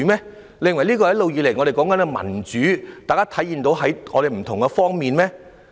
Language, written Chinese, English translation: Cantonese, 你認為這就是我們一直以來所說的民主，並在不同方面體現嗎？, Do you consider this the democracy which we have all along been preaching and manifesting on different fronts?